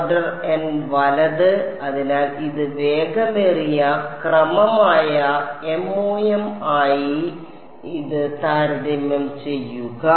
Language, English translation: Malayalam, Order n right; so, compare this with MoM which is order n cube that is why this is fast